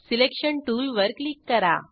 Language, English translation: Marathi, Click on Selection tool